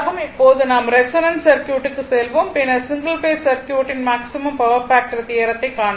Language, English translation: Tamil, So, a circuit now we will go to the resonance circuit then we will see the maximum power factor theorem for single phase this is circuit